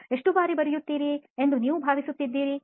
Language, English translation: Kannada, How frequently do you think you write